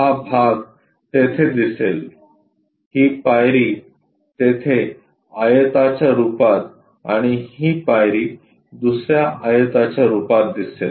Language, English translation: Marathi, This part will be visible there, this step will be visible there as a rectangle and this step visible as another rectangle